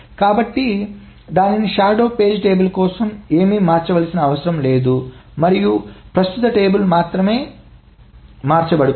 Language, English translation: Telugu, So that means nothing needs to be changed for the shadow page table and only the current page table is what is being changed